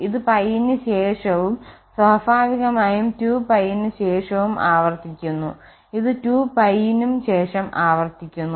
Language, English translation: Malayalam, This is repeating after pie and naturally after 2 pie also and this is also repeating after 2 pie